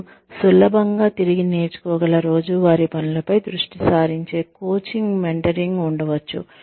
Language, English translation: Telugu, There could be mentoring, which is coaching, that focuses on, daily tasks, that you can easily re learn